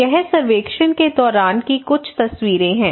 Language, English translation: Hindi, So this is some of the photographs during the survey